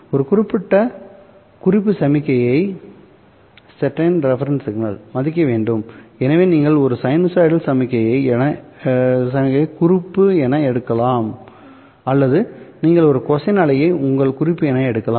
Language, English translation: Tamil, So you have, you can take either a sinusoidal signal as your reference or you can take a cosine wave as your reference